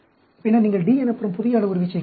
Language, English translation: Tamil, Then, you are adding a new parameter called D